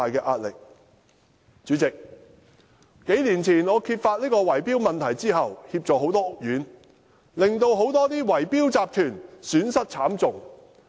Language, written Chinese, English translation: Cantonese, 代理主席，我在數年前揭發圍標問題後，協助了很多屋苑，令很多圍標集團損失慘重。, Deputy President since I exposed the bid - rigging problem several years ago I have assisted many housing estates causing great losses to many bid - rigging syndicates